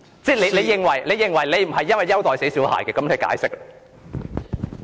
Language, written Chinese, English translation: Cantonese, 如果你認為你並非優待"死小孩"，請作出解釋。, If you think that you are not giving preferential treatment to a bratty child please explain